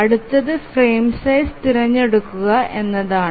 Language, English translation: Malayalam, Now the next thing is to choose the frame size